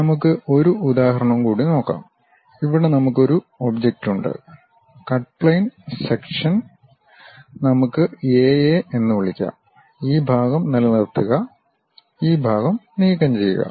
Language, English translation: Malayalam, Let us take one more example, here we have an object and cut plane section let us call A A; retain this portion, remove this part